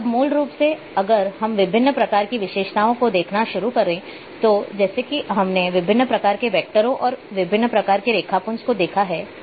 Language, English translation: Hindi, Now, basically if we start looking different types of attributes like, we have seen different types of vectors different types of raster’s